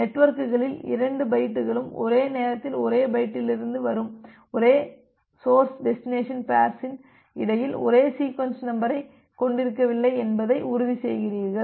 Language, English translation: Tamil, And you are making sure that no two bytes in the networks are having same sequence number between the same source destination pair coming from the same application at the same time instance